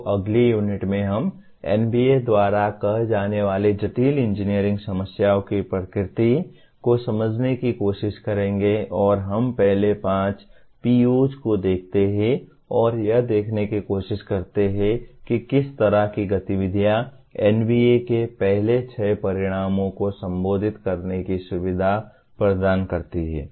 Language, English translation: Hindi, So in the next unit we will try to understand the nature of what the NBA calls complex engineering problems and we then we look at the first five POs and try to look at what kind of activities facilitate addressing the first six outcomes of NBA